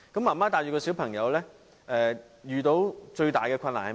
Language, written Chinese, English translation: Cantonese, 媽媽帶着小朋友遇到最大的困難是甚麼？, What are the major difficulties a single mother awarded with custody of children has to face?